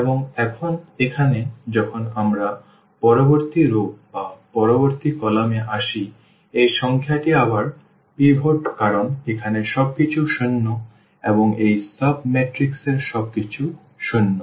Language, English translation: Bengali, And, now, here when we come to the next row or next column this number is again pivot because everything here to zero and left to also zero and also in this sub matrix everything is zero